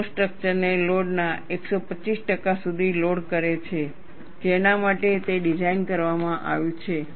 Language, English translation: Gujarati, They load the structure up to 125 percent of the load, for which it is designed